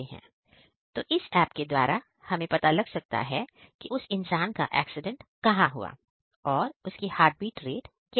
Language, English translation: Hindi, So, through this we can actually detect where the person is right now and what is his heart beat